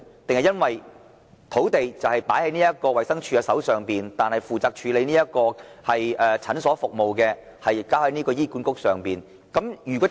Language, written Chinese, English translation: Cantonese, 還是因為土地在衞生署手上，但負責處理診所服務的是醫院管理局呢？, Or is it because the sites are in the hands of the Department of Health yet outpatient services are handled by the Hospital Authority HA?